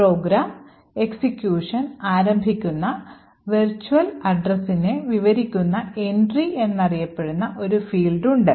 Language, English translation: Malayalam, Then you have an entry which is known as Entry, which describes the virtual address, where program has to begin execution